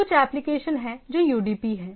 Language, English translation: Hindi, There are few applications which are UDP